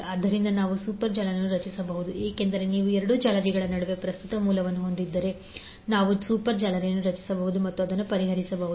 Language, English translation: Kannada, So what we can do, we can create a super mesh because if you have current source between 2 messages, we can create super mesh and solve it